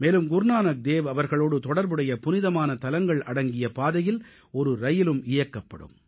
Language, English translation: Tamil, Besides, a train will be run on a route joining all the holy places connected with Guru Nanak Dev ji